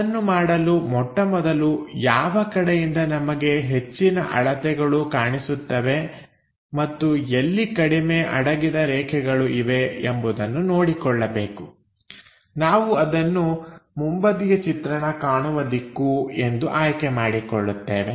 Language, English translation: Kannada, First of all to do that, we have to decide which direction gives us maximum dimensions and minimal hidden lines; that we will pick it as front view in this direction, this is the front view direction